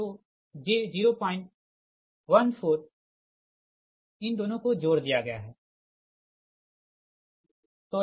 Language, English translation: Hindi, so j point one, four, these two are added, point one, four